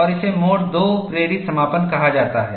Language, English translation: Hindi, And, this is called a mode 2 induced closure